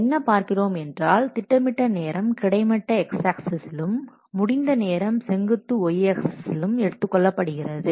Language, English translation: Tamil, And the plan time is plotted along the horizontal axis and the elapsed time along down the vertical axis